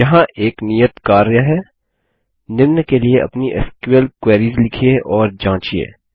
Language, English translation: Hindi, Here is an assignment: Write and test your SQL queries for the following: 1